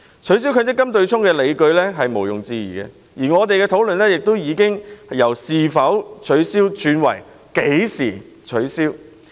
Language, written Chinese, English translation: Cantonese, 取消強積金對沖機制的理據是毋庸置疑的，我們的討論焦點亦已由"是否取消"轉為"何時取消"。, Given the unassailable case for abolishing the MPF offsetting mechanism the focus of our discussion has shifted from whether to when it should be done